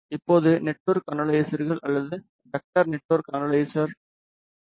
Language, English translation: Tamil, Now, comes network measurements which are done using network analyzers or vector network analyze, VNA